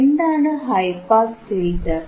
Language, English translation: Malayalam, So, what is high pass filter